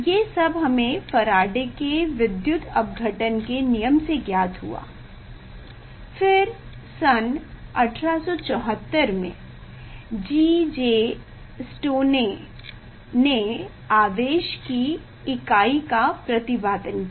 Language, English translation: Hindi, that came to, we came to know from the Faraday laws of electrolysis; then 1874 G J Stoney proposed the nature of the unit of electricity